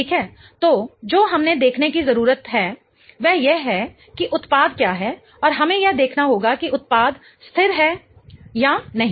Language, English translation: Hindi, So what we need to then look at is what is what is the product and we have to look at whether the product is stable or not